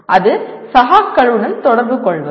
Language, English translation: Tamil, That is communicating with peers